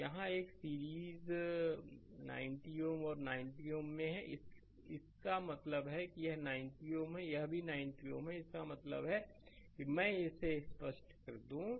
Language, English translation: Hindi, So, here it is in series 90 ohm and 90 ohm and; that means, this is 90 ohm this is also 90 ohm; that means, let me clear it